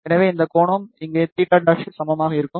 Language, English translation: Tamil, So, this angle will be also equal to theta dash over here